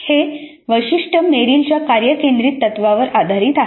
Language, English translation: Marathi, This feature is based on Merrill's task centered principle of learning